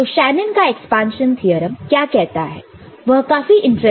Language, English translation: Hindi, So, what Shanon’s expansion theorem says is very interesting